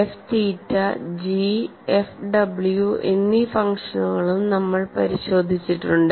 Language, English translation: Malayalam, We have also looked at the functions F theta, G, as well as F w